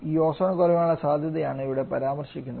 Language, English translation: Malayalam, That is what we refer by this ozone depletion potential